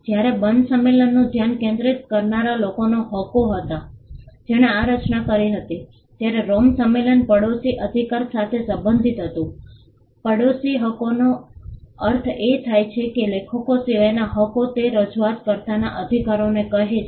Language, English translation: Gujarati, While the focus of the Berne convention was rights of the authors the people who created the work, the Rome convention pertain to neighbouring rights; neighbouring rights meaning the rights of those other than the authors say the performer’s rights